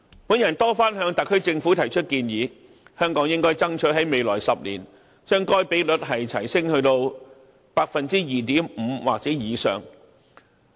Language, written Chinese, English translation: Cantonese, 我曾多番向特區政府提出建議，香港應該爭取在未來10年，將該比率提升至 2.5% 或以上。, I have repeatedly proposed to the SAR Government that Hong Kong should strive to increase the ratio to 2.5 % or above in the future 10 years